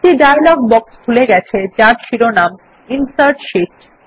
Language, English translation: Bengali, A dialog box opens up with the heading Insert Sheet